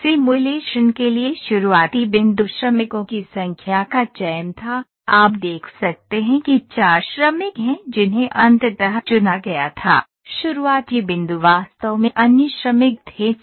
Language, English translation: Hindi, The starting point for this simulation was is selection of number of workers you can see there are 4 workers those were selected finally, the starting point was actually 6 workers